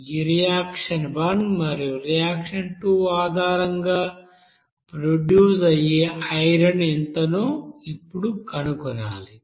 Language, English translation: Telugu, Now we have to find out what will be the iron is produced based on this reaction one and reaction two